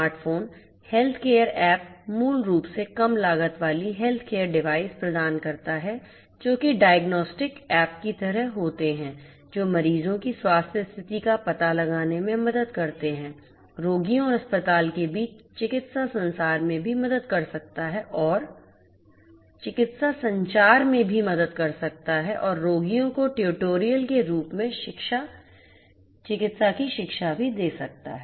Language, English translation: Hindi, Smart phones healthcare app basically provides low cost healthcare devices which are sort of like diagnostic apps that help in detecting the health condition of patients; can also help in medical communication between the patients and the hospitals and can also offered medical education in the form of tutorials to the patients